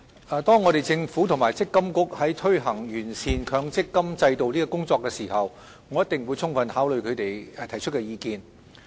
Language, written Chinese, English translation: Cantonese, 政府和強制性公積金計劃管理局在推行完善強制性公積金制度的工作時，一定會充分考慮他們提出的意見。, The Government and the Mandatory Provident Fund Schemes Authority MPFA will surely give due consideration to their views when working towards perfecting the Mandatory Provident Fund MPF System